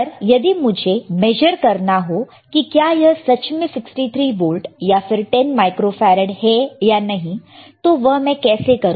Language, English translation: Hindi, But if I want to measure it whether it is 63 volts or 10 microfarad or not, how would I know